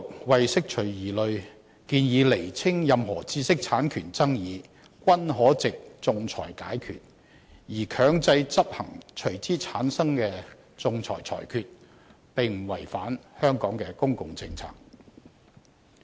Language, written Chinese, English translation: Cantonese, 為釋除疑慮，政府當局建議釐清任何知識產權爭議，均可藉仲裁解決，而強制執行隨之產生的仲裁裁決，並不違反香港的公共政策。, To put the matter beyond doubt the Administration has proposed to make it clear that disputes over IPR are capable of settlement by arbitration and that it is not contrary to the public policy of Hong Kong to enforce the ensuing award